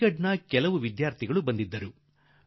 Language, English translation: Kannada, Student from Aligarh had come to meet me